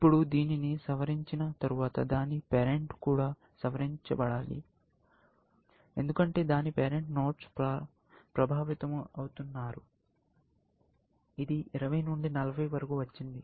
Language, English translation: Telugu, Now, after I revise this, I must revise its parent, because its parent is getting affected; it has got from 20 to 40